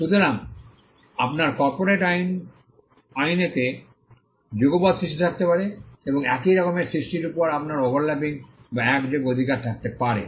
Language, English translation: Bengali, So, you could have simultaneous creation in corporate law, and you could have overlapping or simultaneous rights over the similar creations